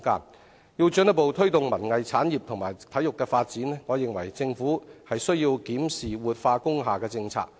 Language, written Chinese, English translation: Cantonese, 我認為，要進一步推動文藝產業及體育發展，政府必須檢視活化工廈政策。, In my opinion in order to further promote cultural and arts industries and sports development the Government must review the policy of revitalizing industrial buildings